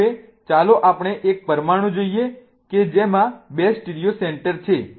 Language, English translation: Gujarati, So, there are four possibilities for a molecule with two stereocentors